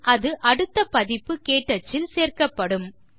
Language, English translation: Tamil, It will then be included in the next version of KTouch